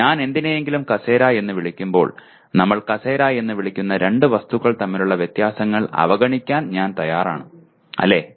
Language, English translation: Malayalam, When I call something as a chair, I am willing to ignore the differences between two objects whom we are calling as chair, right